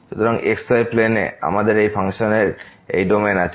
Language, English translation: Bengali, So, in the plane, we have this domain of this function